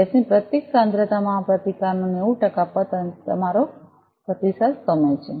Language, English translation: Gujarati, The fall 90 percent of this resistance at each concentration of the gas so that is your response time